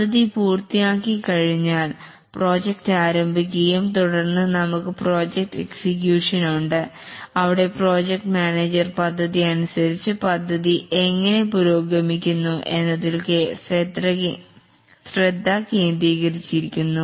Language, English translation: Malayalam, And once the plan is over, the project starts off and then we have the project execution where the project manager concentrates on how the project progresses as per the plan